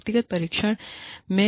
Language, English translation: Hindi, There are personality tests